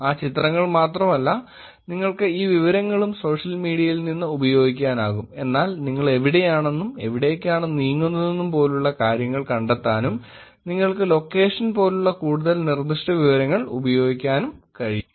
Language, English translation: Malayalam, It is not only that pictures, and you can use these information from social media, but you can actually use something more specific information like a location also to find out where you are and where you have been moving around and things like that